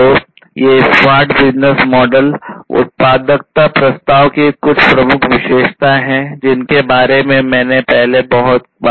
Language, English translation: Hindi, So, these are some of the key attributes of the smart business model value proposition, which I have talked a lot earlier